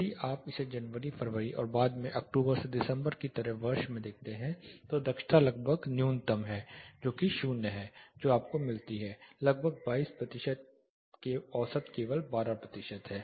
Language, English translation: Hindi, If you look at it January February are later in the year like October to December, efficiency is almost the minimum efficiency 0 maximum you get is around 22 percentage, average is only 12 percentage